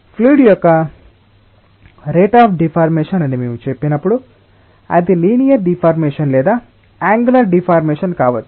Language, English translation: Telugu, so, when we say rate of deformation of a fluid, it might be linear deformation or angular deformation